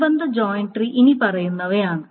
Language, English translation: Malayalam, The corresponding joint tree is the following